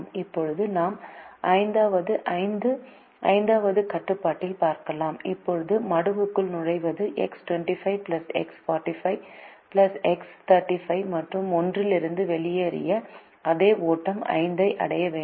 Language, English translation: Tamil, now what enters the sink is x two, five plus x four, five plus x three, five, and the same flow that went out of one will have to reach five